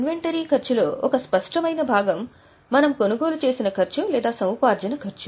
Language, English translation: Telugu, So, cost of inventory, one obvious part is the cost at which we have purchased or the cost of acquisition